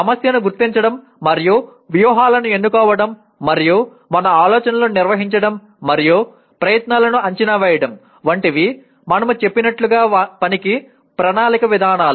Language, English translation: Telugu, The planning approaches to task as we said that will involve identifying the problem and choosing strategies and organizing our thoughts and predicting the outcomes